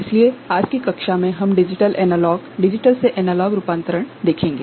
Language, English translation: Hindi, So, in today’s class we shall take up digital analog digital to analog conversion